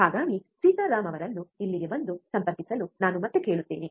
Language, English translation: Kannada, So, I will ask again Sitaram to come here and connect it